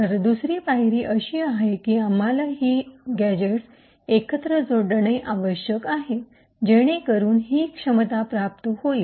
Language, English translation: Marathi, So, the next step is, we need to stitch these gadgets together so that to achieve this functionality and the way we do that is as follows